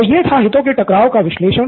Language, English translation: Hindi, Okay, so that was conflict of interest analysis